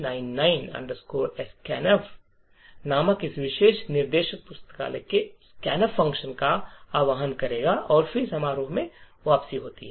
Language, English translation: Hindi, This particular instruction called ISO C99 scan f would invoke the scanf function from the library and then there is a return from the function